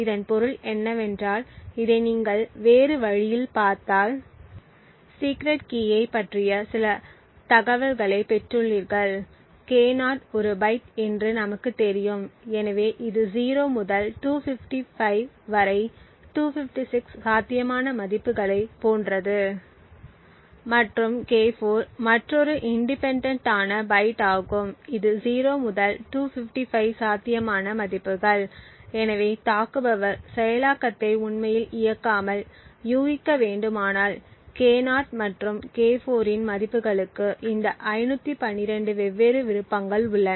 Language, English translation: Tamil, What this means is that the attacker has gained some information about secret key if you look at this in other way K0 we know is a byte therefore it has like 256 possible values from 0 to 255 and K4 is another independent byte which has also 0 to 255 possible values, so without actually running this implementation if the attacker has to guess the values of K0 and K4 there are 512 different options